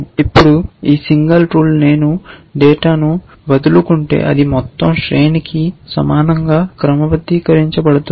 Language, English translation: Telugu, Now, this single rule if I let it loose on the data then it will end up sorting as the same the entire array essentially